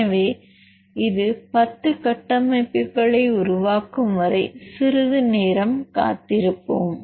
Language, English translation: Tamil, So, we will wait for a while until this generates the 10 structures